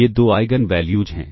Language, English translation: Hindi, These are the two Eigen values ok